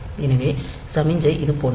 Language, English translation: Tamil, So, the signal is like this